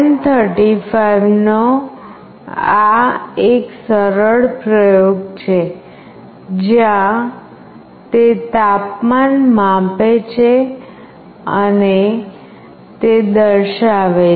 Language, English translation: Gujarati, This is a simple experiment with LM35, where it is reading the temperature and is displaying it